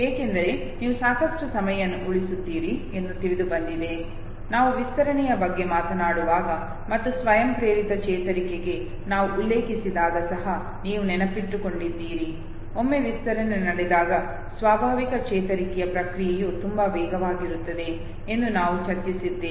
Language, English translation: Kannada, Because it is realized that you save lot of time, you remember even in learning when we were talking about the extension and when we refer to spontaneous recovery there also we had discussed that once the extension takes place the process of spontaneous recovery is very fast, even if the animal took say series of trials to learn the information originally, okay